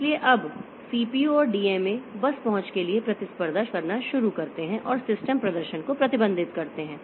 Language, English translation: Hindi, So, now the CPU and DMA, they start competing for the bus access and that restrict the system performance